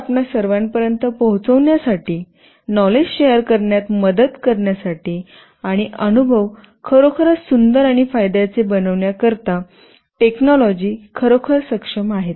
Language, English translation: Marathi, They have been actually enabling this technology to reach all of you, helping in sharing the knowledge, and making the experience really beautiful and rewarding